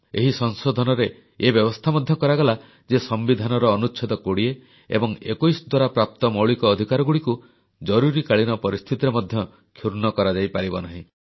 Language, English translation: Odia, This amendment, restored certain powers of Supreme Court and declared that the fundamental rights granted under Article 20 and 21 of the Constitution could not be abrogated during the Emergency